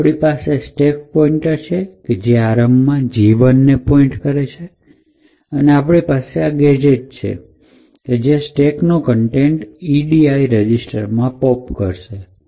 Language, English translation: Gujarati, So we have the stack pointer pointing to gadget 1 initially and therefore we have this gadget which we have used which essentially pops the contents of the stack into the edi register